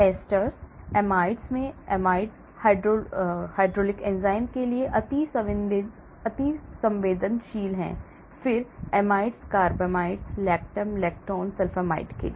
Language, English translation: Hindi, esters, amides in this order esters extremely susceptible to hydraulic enzymes; amides, carbamates, lactam, lactone sulphonamide and so on actually